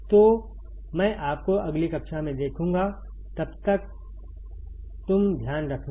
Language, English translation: Hindi, So, I will see you in the next class; till then you take care